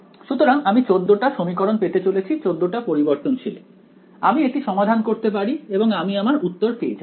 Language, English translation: Bengali, So, I am going to get 14 equations in 14 variables I can solve it I will get my answer